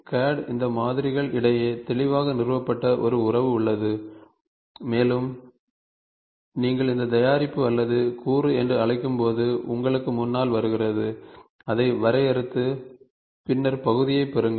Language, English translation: Tamil, So, CAD there is a relationship clearly established between these variables and when you call this this product or component comes in front of you just define it and then get the part